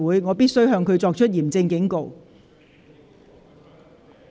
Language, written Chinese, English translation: Cantonese, 我必須向他作出嚴正警告。, I must issue a stern warning to the Member